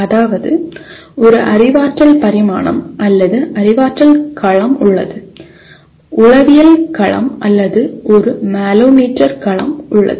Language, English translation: Tamil, Namely, there is a cognitive dimension or cognitive domain, there is affective domain, or a psychomotor domain